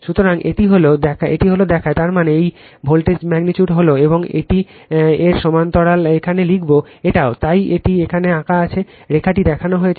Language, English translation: Bengali, So, this is this shows the; that means, this voltage magnitude is V p and this one is parallel to this will write here this is also V p right, so that is why it is drawn it here dash line it is shown